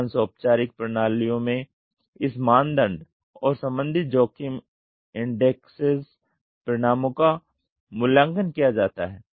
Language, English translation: Hindi, In most formal systems the consequences that are evaluated by this criteria and associated risk indexes are attached to it